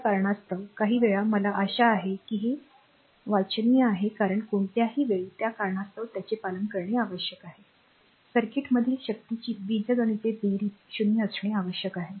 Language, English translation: Marathi, For this reason at any instant of time little bit I hope it is it is it is your readable you can make it must be obeyed for this reason at any instant of time, the algebraic sum of the power in a circuit must be 0